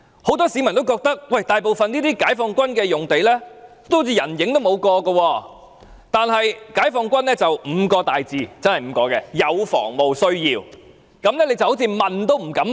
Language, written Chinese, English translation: Cantonese, 很多市民也覺得，這些解放軍用地大部分像是人影也沒一個，但解放軍卻以"有防務需要"這5個大字為由，令人問也不敢問。, Many people have the feeling that most of these sites occupied by the Peoples Liberation Army PLA seem to be always quiet without any people there but PLA say that these sites are for defence needs and when this is stated as the reason nobody dares to question it